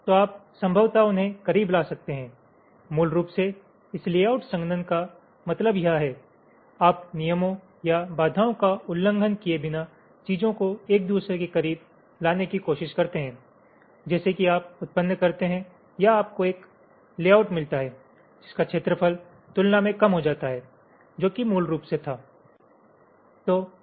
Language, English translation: Hindi, basically, this layout compaction means this: you are try to bring things closer to each other without violating the rules or constraints, such that you generate or you get a layout whose area is reduced as compared to what you had originally